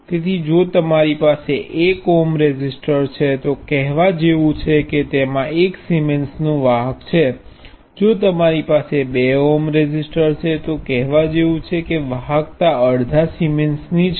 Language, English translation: Gujarati, So, if you have a 1 ohm resistor, it is same as saying it has the conductance of 1 Siemens; if you have a 2 ohms resistor, it is the same as saying the conductance is half the Siemens